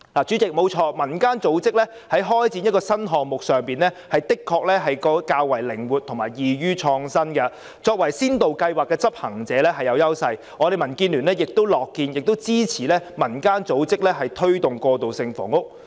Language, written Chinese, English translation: Cantonese, 主席，要開展一個新項目，民間組織的確較為靈活及易於創新，作為先導計劃的執行者是有優勢，民建聯亦樂見和支持民間組織推動過渡性房屋。, President to start a new project community organizations are indeed more flexible and it will be easier for them to introduce innovations . They have an advantage as executors of pilot schemes . DAB is also happy to see this and support community organizations in their efforts on transitional housing